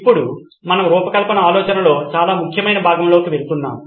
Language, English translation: Telugu, Now we are going into a very, very important part of design thinking